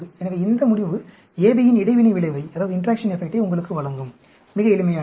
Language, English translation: Tamil, So, this result will give you the interaction effect AB; very simple